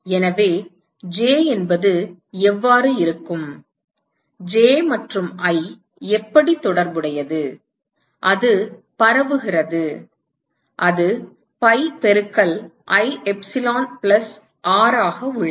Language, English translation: Tamil, So, J will be, how are J and I related it is diffuse it is pi into I epsilon plus r